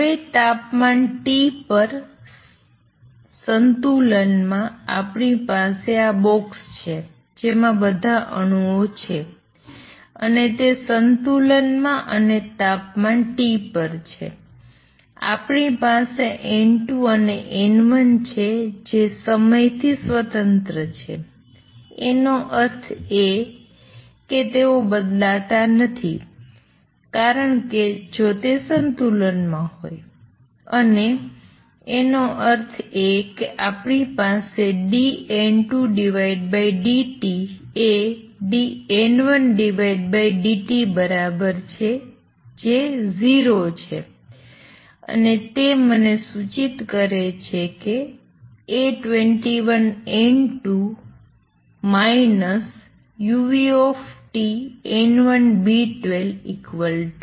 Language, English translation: Gujarati, Now, in equilibrium at temperature T, so we have this box in which all these atoms are there and they are at equilibrium and temperature T we have N 2 and N 1 independent of time; that means, they do not change because if it is in equilibrium and; that means, what we have is dN 2 over dt is equal to dN 1 over dt is equal to 0 and that gives me this implies A 21 N 2 minus u nu T B 12 N 1 is equal to 0